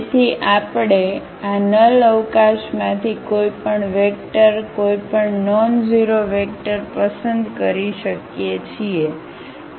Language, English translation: Gujarati, So, we can pick any vector, any nonzero vector from this null space